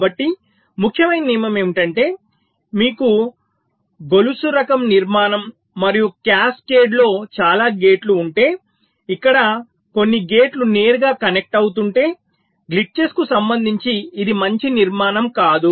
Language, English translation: Telugu, so rule of thumb is: if you have a chain kind of a structure and many gates in cascade where some of the gates are connecting directly, this is not a good structure